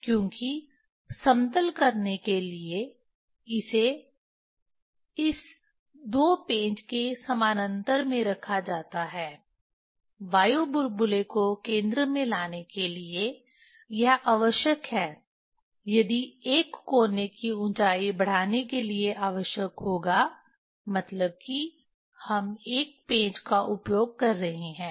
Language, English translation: Hindi, because for leveling it is put in parallel to this two screw, to bring the air bubble at the center, it is necessary if it will be necessary to increase the height of one corner means we are using one screw